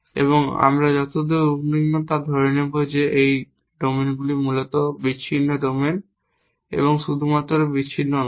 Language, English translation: Bengali, And we will also assume far as for as we are concern that this domains are discrete domains essentially and not only discrete